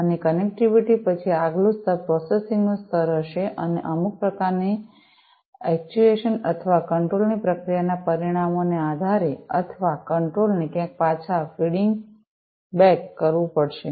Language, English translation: Gujarati, And, after connectivity, the next layer will be the layer of processing, and based on the results of processing some kind of actuation or control or feeding back the control back to somewhere will have to be done